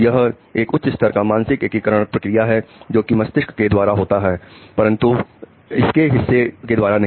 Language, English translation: Hindi, There is a high level integration process done by the brain but not by its part